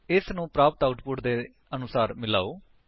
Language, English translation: Punjabi, Match this according to the output you are getting